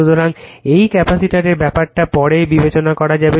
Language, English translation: Bengali, So, this capacitor thing will consider later